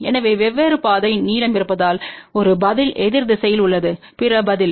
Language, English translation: Tamil, So, because of the different path length so, one response is in the opposite direction of the other response